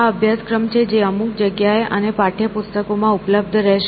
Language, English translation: Gujarati, These are the syllabus which will be available in some place and the text books